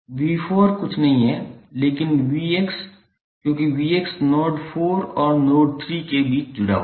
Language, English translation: Hindi, V 4 is nothing but V X because the V X is connected between V the node 4 and node 3